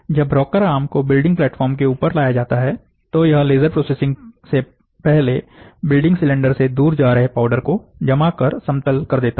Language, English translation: Hindi, When the rocker arm is moved over top of the building platform, it deposits and smoothens the powder, moving away from the building cylinder prior to the laser processing